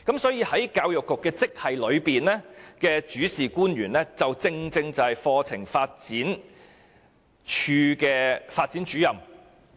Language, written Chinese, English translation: Cantonese, "所以，教育局職系的主事官員正是課程發展處課程發展主任。, So the principal official in the Education Bureau is the Curriculum Development Officers of CDI